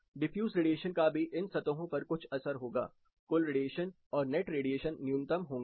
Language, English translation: Hindi, Diffuse radiation will still have some impact on these surfaces, total radiation and net radiation will be minimum